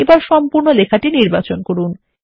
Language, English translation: Bengali, Select the entire text now